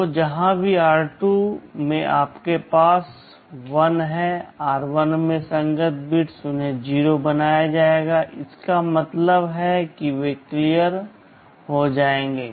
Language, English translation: Hindi, So, wherever in r2 you have 1 those corresponding bits in r1 will be made 0; that means those will be cleared